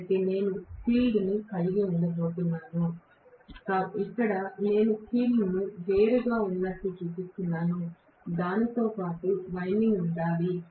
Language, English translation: Telugu, So, I am going to have the field, here I am just showing the field as though it is separate, it is not the winding should be along with that